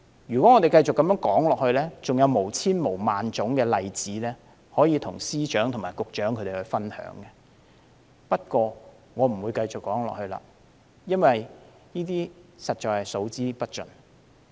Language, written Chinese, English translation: Cantonese, 如果我們繼續說下去，還有千萬個例子可以與司長和局長分享，不過，我不再說下去了，因為這些實在是數之不盡。, I can continue to share tens of thousands of examples with the Secretaries . However I will not go on and on because there are really countless cases